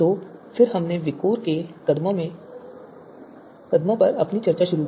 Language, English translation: Hindi, So then we started our discussion on this you know the VIKOR step